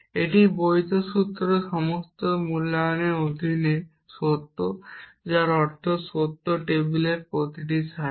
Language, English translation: Bengali, A valid formula is true under all valuations which means every row in the truth table